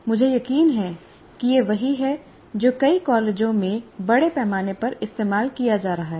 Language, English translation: Hindi, And I'm sure this is what is being used extensively in many of the colleges